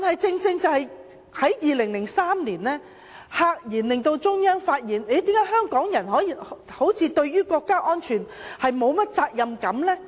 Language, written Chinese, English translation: Cantonese, 正正在2003年，中央赫然發現香港人對國家安全好像沒有責任感。, It was also in 2003 that the Central Authorities found to their surprise that Hong Kong people seemingly did not have a sense of responsibility for national security